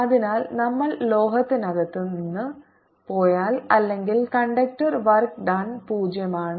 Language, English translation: Malayalam, therefore, if we go from inside the metal or conductor, work done is zero